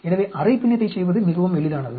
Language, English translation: Tamil, So, half fractional is very easy to do